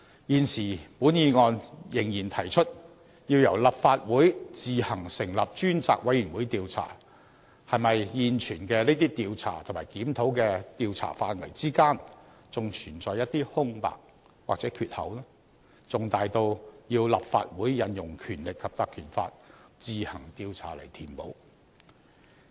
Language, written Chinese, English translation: Cantonese, 現時本議案仍然提出，要由立法會自行成立專責委員會調查，是否現存的這些調查及檢討的調查範圍之間，還存在一些空白或缺口，重大到要立法會引用《條例》自行調查來填補？, At this moment this motion is still proposing that the Legislative Council should set up a select committee to carry out its own investigation . Does it mean that there are still some space or gaps in the scope of investigation among the existing investigations and reviews and which are so large that the Legislative Council is needed to fill them up by launching its own investigation through invoking the Ordinance?